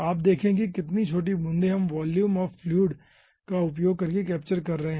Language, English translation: Hindi, you see how many, how small ah droplets we are capturing over here using volume of fluid